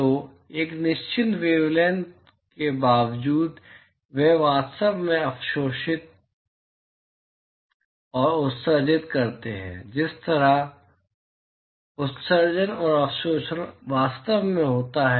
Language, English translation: Hindi, So, a certain wavelength, they actually absorb and emit irrespective of the wavelength at which the emission and absorption actually takes place